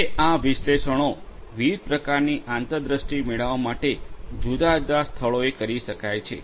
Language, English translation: Gujarati, Now, this analytics can be performed in different places for getting different types of insights